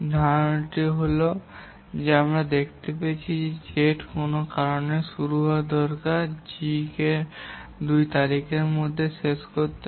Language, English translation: Bengali, The idea is that until if we find that Z needs to start on some date, G has to complete by that date